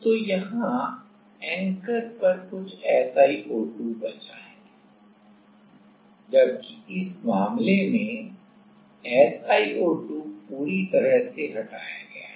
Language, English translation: Hindi, So, there is some SiO2 left at the anchor whereas, in this case SiO2 is released completely